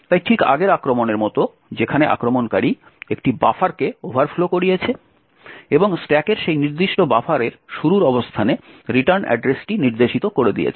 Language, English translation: Bengali, So just like the previous attack where the attacker overflowed a buffer and made the return address point to the starting location of that particular buffer on the stack